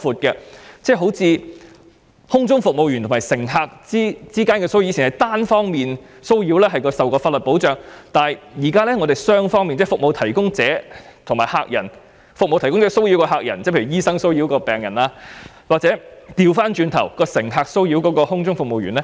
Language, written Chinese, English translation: Cantonese, 舉例說，空中服務員與乘客之間的騷擾，以往是單方面的騷擾才受法律保障，但現在是雙方面的，例如服務提供者騷擾客人，例如醫生騷擾病人，或者倒過來乘客騷擾空中服務員。, For example with regard to harassment between flight attendants and passengers there was protection for one party only in the past but now protection for both parties is provided . For example cases of clients being harassed by service providers patients by doctors or the other way round flight attendants being harassed by passengers are all covered